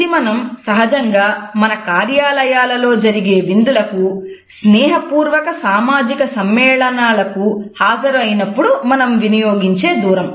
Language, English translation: Telugu, This is the distance which we normally maintain at workplace during our office parties, friendly social gatherings etcetera